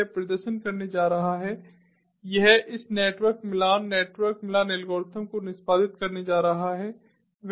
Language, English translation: Hindi, so then what it is going to do it is going to perform, it is going to execute this network matching ah ah network matching algorithm